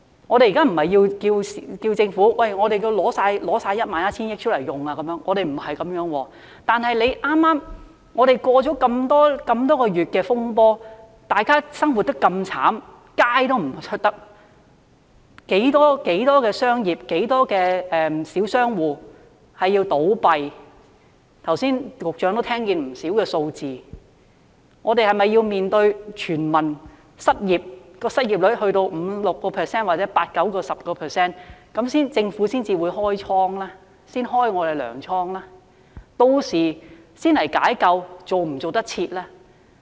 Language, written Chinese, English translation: Cantonese, 我們現時並非要求政府把 11,000 億元全數拿出來運用，不是這樣，但我們剛經歷那麼多個月的風波，大家生活得那麼淒慘，市民不敢外出，很多小商戶倒閉——相信局長剛才也聽到不少數字——我們是否須面對市民失業，在失業率上升到 5%、6%， 甚至 8% 至 10% 時，政府才開放糧倉呢？, But we have just run into the turmoil for months leading a miserable life . Members of the public dare not go out . Many small shops have closed down―I believe the Secretary must heard many figures just now―do we have to wait until people become unemployed and the unemployment rate goes up to 5 % 6 % or even 8 % to 10 % before the Government opens up the barn?